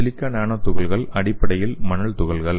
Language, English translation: Tamil, Silica nano particles are basically a sand particles okay